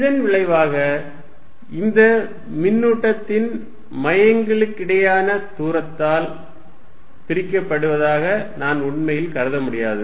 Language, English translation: Tamil, As a result I cannot really think of them being separated by distance which is the distance between the centers of this charge